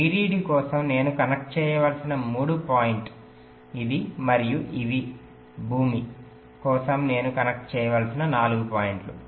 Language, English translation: Telugu, next, this are the three point i have to connect for vdd and these are the four points i have to connect for ground